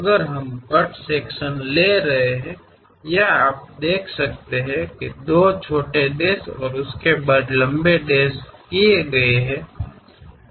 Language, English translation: Hindi, If we are taking a cut section; here you can see, long dash followed by two small dashes and so on